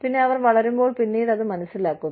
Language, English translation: Malayalam, And, they realize it, later, when they grow up